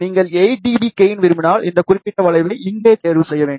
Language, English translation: Tamil, Let us say if you want gain of 8 dB, then we should choose this particular curve over here